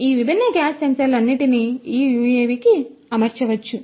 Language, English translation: Telugu, All these different gas sensors could be fitted to this UAV